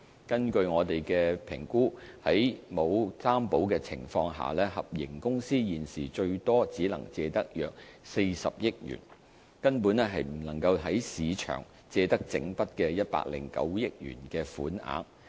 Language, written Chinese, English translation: Cantonese, 根據我們的評估，在沒有擔保的情況下，合營公司現時最多只能借得約40億元，根本不能在市場借得整筆109億元的款額。, According to our assessment HKITP can at most secure loan amount of about 4 billion without any guarantee under the current circumstances and would not be able to borrow the entire sum of 10.9 billion in the market